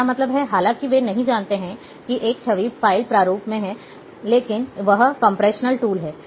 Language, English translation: Hindi, Unknowingly means, they do not know, that this, though it’s a image file format, but it is a compressional tool, data compressional tool